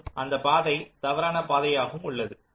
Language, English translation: Tamil, this is termed as a false path